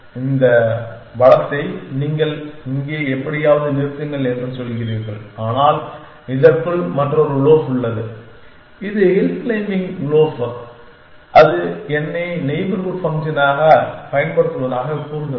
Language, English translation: Tamil, Once you run out of resource is you say stop something here, but inside this is a another loaf which is the hill claiming loaf and that is saying use the I as neighborhood function